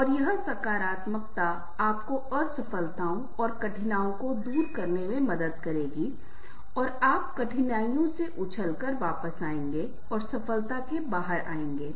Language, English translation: Hindi, positive attributes and that positivity will help you to overcome the setbacks and difficulties and you will bounce back from difficulties and come out with success in a adverse situations